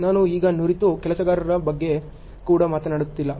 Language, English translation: Kannada, I am not even talking about the skilled workers now